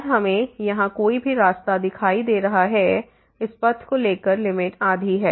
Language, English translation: Hindi, And we have any way seen here by taking this path the limit is half